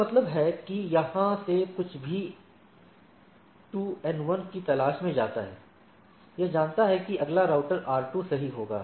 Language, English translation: Hindi, So, that means, from here anything goes 2 looking for N 1, it knows that the next router will be R 2 right